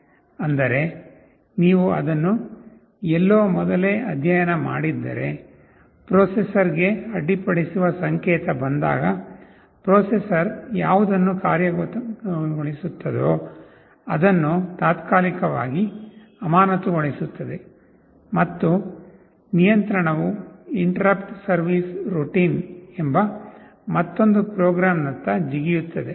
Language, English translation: Kannada, Means, if you have studied it earlier somewhere you know that when an interrupt signal comes to a processor, whatever the processor was executing is temporarily suspended and the control jumps to another program routine called interrupt service routine